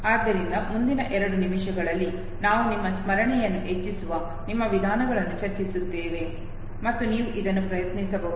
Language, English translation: Kannada, So very succinctly next couple of minutes we will discuss our methods which can enhance your memory and you can try it out